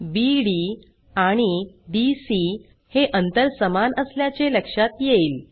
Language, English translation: Marathi, Notice that distances BD and DC are equal